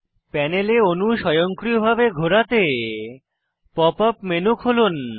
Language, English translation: Bengali, To automatically spin the molecule on the panel, open the Pop up menu